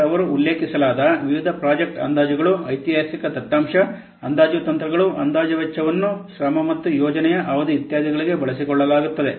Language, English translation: Kannada, Then the various project estimates they have to be mentioned like the historical data, the estimation techniques used to the estimation for cost, effort and project duration etc